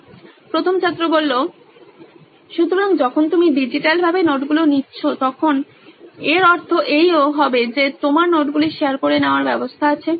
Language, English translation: Bengali, So when you are taking down notes digitally, that would also mean that you have a provision to share your notes